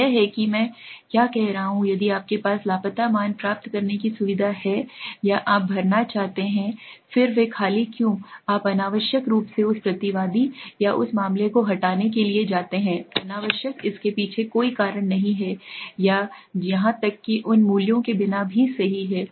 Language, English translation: Hindi, So that is what I am saying if you have the facility to get the missing values or you know fill those blanks then why do you go for unnecessarily removing that respondent or that case unnecessary there is no reason behind it or even go without those values, right